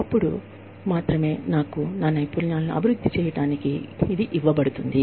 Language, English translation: Telugu, And, only then, will I be given this opportunity, to develop my skills, here